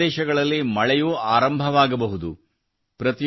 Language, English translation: Kannada, It would have also start raining at some places